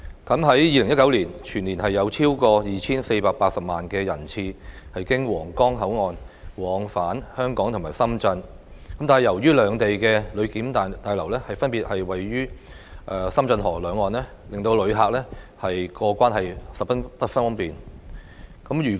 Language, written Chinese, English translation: Cantonese, 在2019年，全年有超過 2,480 萬人次經皇崗口岸往返香港和深圳，但由於兩地的旅檢大樓分別位於深圳河的兩岸，令旅客過關十分不便。, Throughout 2019 more than 24.8 million cross - boundary trips were made between Hong Kong and Shenzhen via the Huanggang Port . However the passenger clearance buildings of both sides are separately located on either bank of the Shenzhen River making it very inconvenient for passengers to cross the boundary